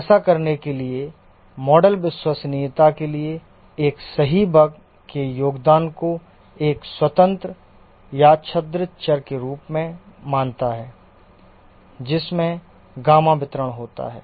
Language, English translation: Hindi, To do this, the model treats a corrected bugs contribution to the reliability as a independent random variable having gamma distribution